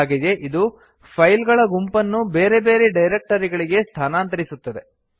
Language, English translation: Kannada, It also moves a group of files to a different directory